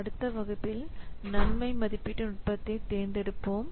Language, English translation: Tamil, Then we have to select a cost benefit evaluation technique